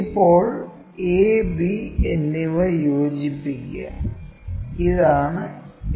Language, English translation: Malayalam, Now, join a and b, this is true length